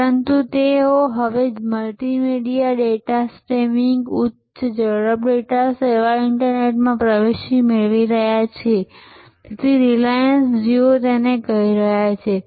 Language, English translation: Gujarati, But, they are now getting into multimedia data streaming high speed data service internet service and they are calling it Reliance Jio